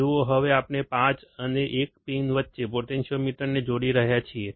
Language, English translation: Gujarati, See we are now connecting a potentiometer between pins 5 and 1